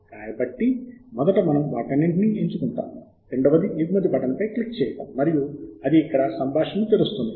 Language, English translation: Telugu, so first we select all of them, the second is to click on the export button and that will open up a dialog